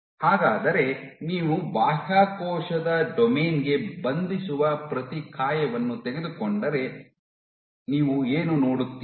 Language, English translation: Kannada, So, if you take an antibody which binds to the extracellular domain